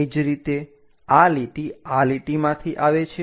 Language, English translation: Gujarati, So, this line what we see coming from this line